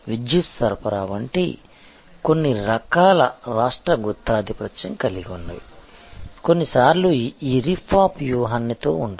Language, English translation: Telugu, So, certain types of state monopoly like the electricity supply, sometimes has this rip off strategy